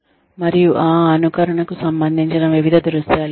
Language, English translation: Telugu, And, there is various scenarios, related to that simulation